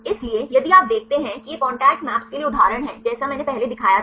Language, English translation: Hindi, So, if you look this is the example for the contact map just I showed earlier